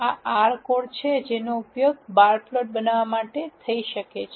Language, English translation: Gujarati, This is the R code that can be used to generate the bar plot